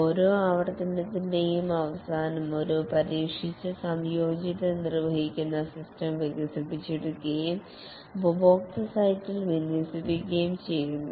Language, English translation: Malayalam, At the end of each iteration, a tested, integrated, executable system is developed deployed at the customer site